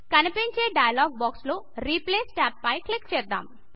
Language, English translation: Telugu, In the dialog box that appears, click on the Replace tab